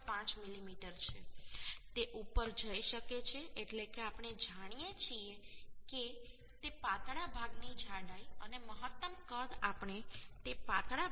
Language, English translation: Gujarati, 5mm it can go up to that that means the thickness of the thinner part we know and the maximum size we can become that thickness of the thinner part minus 1